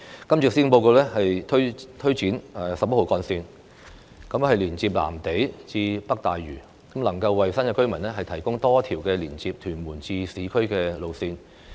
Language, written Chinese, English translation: Cantonese, 今次施政報告推展十一號幹線連接藍地至北大嶼，能夠為新界居民提供多一條連接屯門至市區的路線。, This years Policy Address unveils Route 11 that will link up Lam Tei and North Lantau providing an alternative to connect Tuen Mun with the urban areas